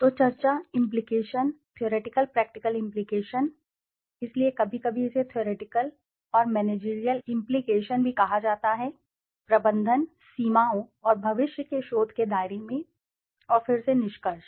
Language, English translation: Hindi, So, discussion, implication, theoretical practical implication, so sometimes it is called theoretical and managerial implication, also in management, limitations and future research scope, and again the conclusion